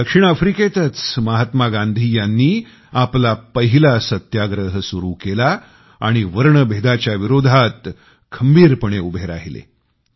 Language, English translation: Marathi, It was in South Africa, where Mahatma Gandhi had started his first Satyagraha and stood rock steady in protest of apartheid